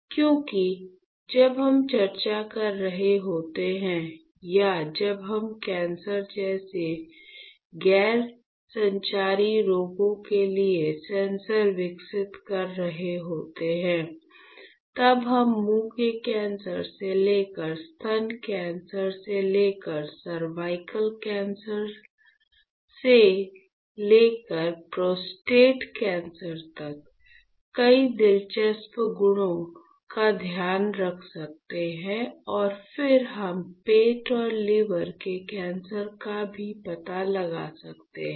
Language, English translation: Hindi, Because when you are discussing or when you are developing sensors for non communicable diseases like cancer; then you can take care of a lot of interesting properties, right from oral cancer to breast cancer to cervical cancer to prostate cancer and then we can also locate stomach and liver cancers